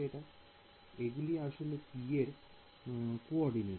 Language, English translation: Bengali, It is the coordinates of this point P